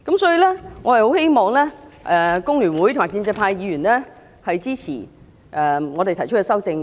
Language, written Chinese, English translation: Cantonese, 所以，我很希望工聯會和建制派的議員支持我們提出的修正案。, So I very much hope that Members from FTU and the pro - establishment camp will support the amendments proposed by us